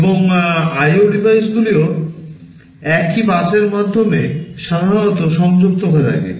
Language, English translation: Bengali, And IO devices are also typically connected through the same bus